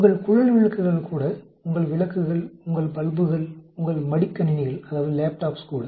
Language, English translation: Tamil, Even your tube lights, even your lights, your bulbs, your laptops